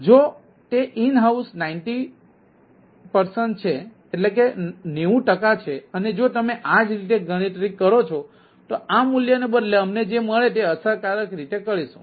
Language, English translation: Gujarati, if it is a ninety percent in house, then if you do the same calculation, we will effectively what we will get instead of this value